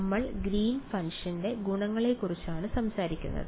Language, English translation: Malayalam, So, the first is the Green’s function we are talking about properties of the Green’s function